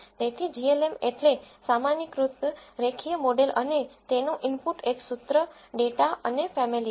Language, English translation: Gujarati, So, glm stands for generalized linear model and the input to it is a formula, a data and family